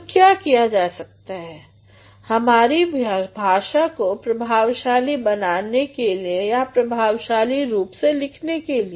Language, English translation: Hindi, So, what are the things that can be done in order to make our language effectively or in order to write effectively